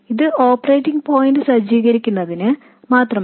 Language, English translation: Malayalam, This is just to set up the operating point